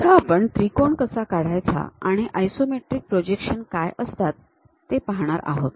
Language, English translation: Marathi, Now, let us look at how to construct a triangle and what are those isometric projections